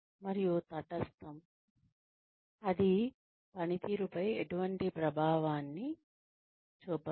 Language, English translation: Telugu, And, neutral is that, it has no effect on performance